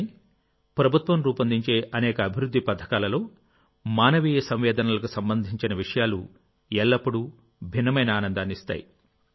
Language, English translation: Telugu, But in the many works of the government, amidst the many schemes of development, things related to human sensitivities always give a different kind of joy